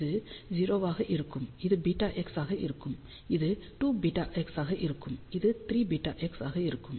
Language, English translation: Tamil, So, this will be 0 this will be beta x this will be 2 beta x this will be 3 beta x and so on